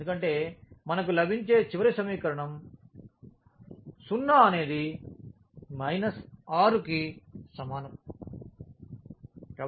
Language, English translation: Telugu, Because from the last equation we are getting 0 is equal to minus 6